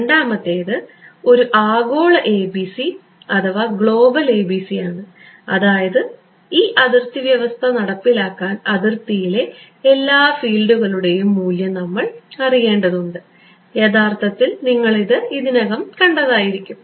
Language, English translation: Malayalam, The second is a global ABC which means that to implement this boundary condition, I need to know the value of all the fields on the boundary actually you have already seen this